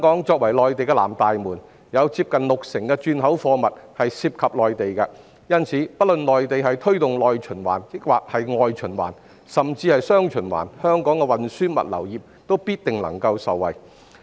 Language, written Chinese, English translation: Cantonese, 作為內地的南大門，香港近六成轉口貨物涉及內地，所以不論內地推動內循環還是外循環，甚至是"雙循環"，香港的運輸物流業必定能夠受惠。, As the southern gateway to the Mainland nearly 60 % of Hong Kongs re - exports involve the Mainland so whether the Mainland promotes internal or external circulation or even dual circulation Hong Kongs transport and logistics industry will certainly benefit